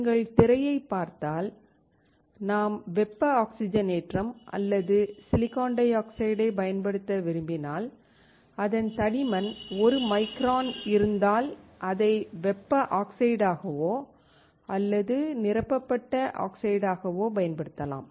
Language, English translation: Tamil, If you see the screen, you see that if you want to use the thermal oxidation or SiO2, you can use it as a thermal oxide or as a filled oxide if your thickness is around 1 micron